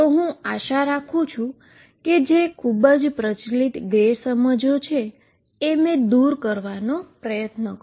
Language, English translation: Gujarati, So, I hope I have cleared these 2 misconceptions which are quite prevalent